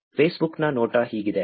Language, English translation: Kannada, This is how Facebook looks